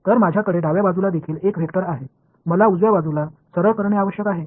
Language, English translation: Marathi, So, I have a vector on the left hand side also, I need to simplify the right hand side right